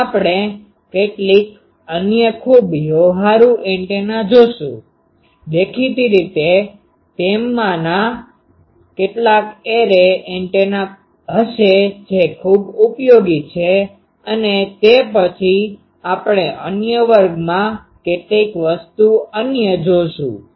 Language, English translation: Gujarati, Next, we will see some other very practical antennas; obviously, some of them will be array antennas which are also very useful and then, we will see some other things in other classes